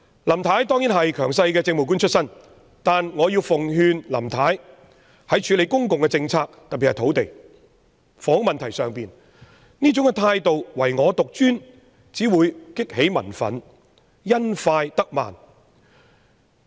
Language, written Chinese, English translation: Cantonese, 林太當然是強勢的政務官出身，但我要奉勸林太，在處理公共政策特別是土地和房屋問題時，這種唯我獨尊的態度只會激起民憤，因快得慢。, Mrs LAM certainly has a background as a dominant type of Administrative Officer . But I have a piece of advice for Mrs LAM . When handling public policies particularly land and housing issues such egotism will only provoke public anger and a hasty approach will get her nowhere